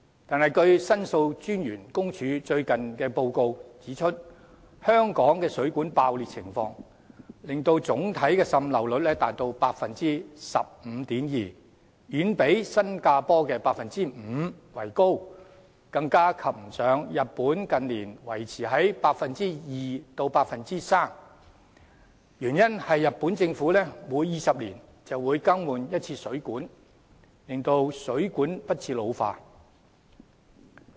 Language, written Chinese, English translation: Cantonese, 可是，申訴專員公署最近的報告指出，香港水管爆裂的情況令總體滲漏率達 15.2%， 遠比新加坡的 5% 為高，更不及日本近年維持在 2% 至 3% 的水平，原因是日本政府每20年便會更換一次水管，令水管不致老化。, However the Office of The Ombudsman pointed out in a report recently that the situation of water mains bursts in Hong Kong has resulted in an overall leakage rate of 15.2 % which is far higher than the rate of 5 % in Singapore and we compare even less favourably with Japan where the rate stands at 2 % to 3 % in recent years because the Japanese Government replaces the water mains every two decades to pre - empt the ageing of water mains